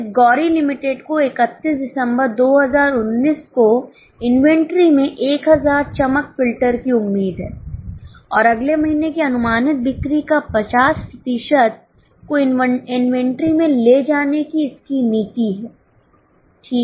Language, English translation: Hindi, Now this Gauri expects to have 1000 glare filters in the inventory at December 31st 2019 and has a policy of carrying 50% of following months projected sales in inventory